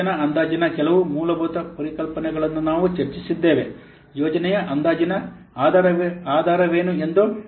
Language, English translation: Kannada, Today we will discuss about a little bit of project planning and basics of project estimation